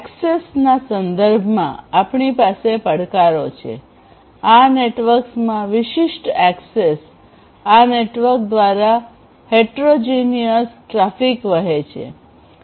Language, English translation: Gujarati, We have challenges with respect to access; there is heterogeneous access, heterogeneous, a heterogeneous traffic flowing through these networks